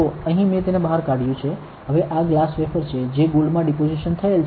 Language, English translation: Gujarati, So, here I have taken it out; now, this is the glass wafer which is deposited with gold